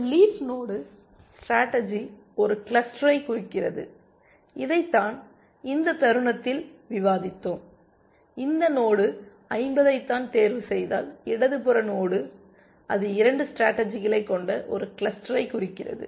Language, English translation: Tamil, A leaf node also represents a cluster of strategies, which is what we were discussing in the moment ago that, if I were to choose this node 50, the left most node then, it represents a cluster of 2 strategies